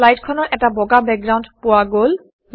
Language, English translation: Assamese, The slide now has a white background